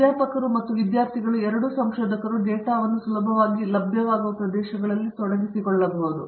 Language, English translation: Kannada, And they, faculty and the students both researchers can venture out in to areas where they get data readily available